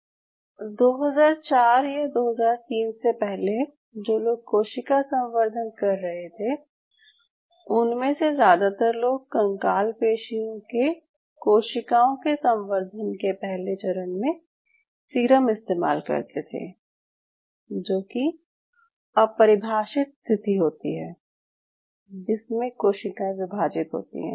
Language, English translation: Hindi, So most of the people who were using cell culture prior to, I would say, 2004 or 2003, most of them have used, the way they have done it, they culture the first phase of these skeletal muscle cells in serum which is an undefined conditions where these cells divide